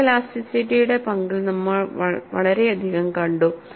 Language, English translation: Malayalam, And we have amply seen the role of photo elasticity